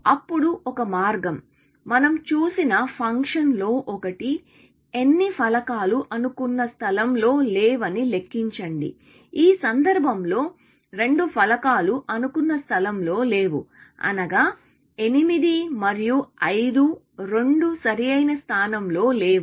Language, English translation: Telugu, Then, one way, one of the functions that we saw was; simply count how many tiles are out of place, in which case, two tiles are out of place; both 8 and 5 are out of place